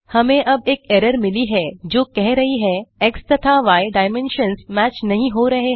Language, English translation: Hindi, Unfortunately we have an error now, telling x and y dimensions dont match